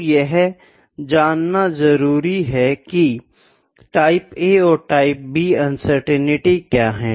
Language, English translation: Hindi, Next is Type A and Type B uncertainties